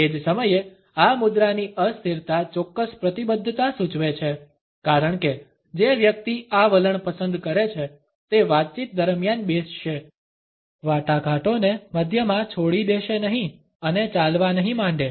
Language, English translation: Gujarati, At the same time the immobility of this posture suggest a certain commitment because the person who is opted for this stance would sit through the conversation, would not leave the negotiations in the middle and walk away